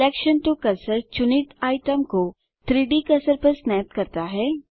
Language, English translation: Hindi, Selection to cursor snaps the selected item to the 3D cursor